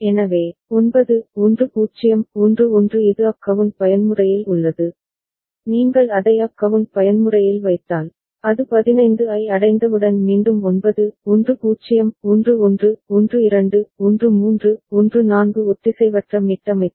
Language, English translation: Tamil, So, 9 10 11 it is in up count mode all right, it will, if you are putting it in up count mode, so, 9 10 11 12 13 14 again as soon as it reaches 15 a asynchronous reset